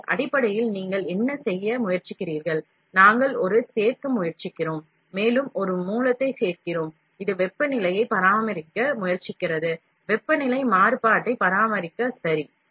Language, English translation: Tamil, So, basically what are you trying to do is, we are trying to add a, add one more source, which tries to maintain temperature; maintain temperature variation, ok